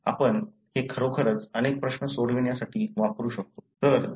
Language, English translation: Marathi, So, we can really use this to solve many questions